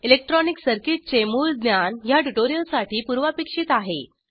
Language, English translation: Marathi, Basic knowledge of electronic circuits is a prerequisite for this tutorial